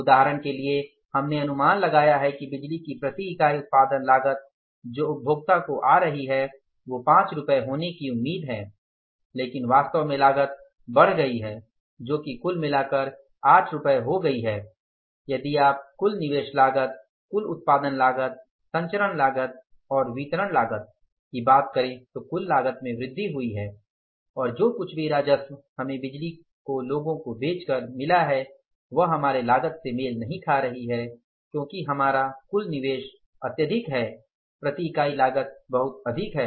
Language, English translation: Hindi, Now for example we anticipated that the per unit cost of the electricity which is coming from the generation to the consumer that is expected to be 5 rupees that is expected to be 5 rupees and actually that cost has gone up that has become 8 rupees total if you talk about the total investment cost total generation cost transmission cost and distribution cost total cost has increased and whatever the revenue we have got by selling the power to the people we have not been able to match that because our total investment is very high per unit cost is very high revenue we are getting from the people is very less and ultimately what happened these power boards started suffering the losses and when they couldn't sustain the losses most of the power boards are in a very bad financial position and some of the states have closed the power boards